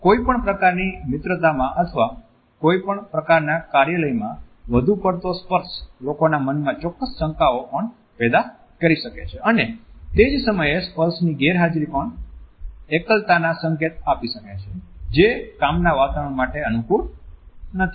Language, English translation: Gujarati, In any type of friendship or in any type of office environment, too much touch can also create certain doubts in the minds of the people and at the same time an absence of touch can also signal in aloofness which is not conducive to a work atmosphere